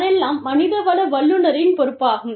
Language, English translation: Tamil, All that becomes, the responsibility of the HR professional